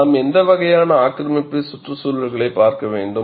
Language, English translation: Tamil, What kind of aggressive environments that we have to look at